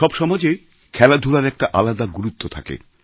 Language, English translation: Bengali, Sports has its own significance in every society